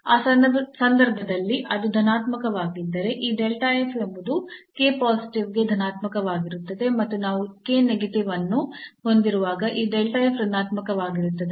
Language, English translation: Kannada, So, if it is positive in that case this delta f will be positive for k positive and this delta f will be negative when we have k negative